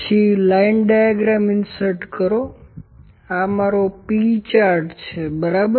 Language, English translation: Gujarati, Then insert line diagram this is my p chart, ok